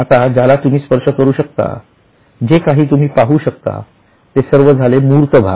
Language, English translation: Marathi, Now, whatever you can touch, whatever you can see, these are all tangible parts